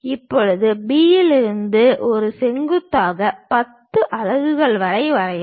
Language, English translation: Tamil, Now, from B drop a perpendicular, up to a unit of 10